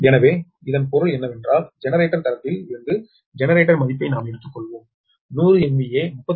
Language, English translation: Tamil, that means that means from generator side we have taken generator rating is given hundred m v a thirty three k v base, ah, thirty three k v